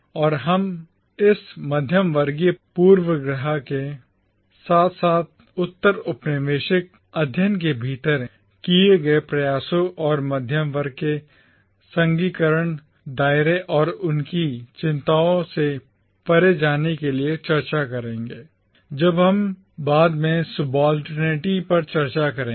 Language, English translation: Hindi, And we will discuss this middle class bias as well as the attempts made within postcolonial studies to go beyond the narrow confines of the middle class and their concerns when we discuss subalternity later